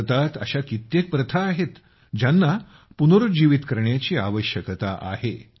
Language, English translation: Marathi, There are many other such practices in India, which need to be revived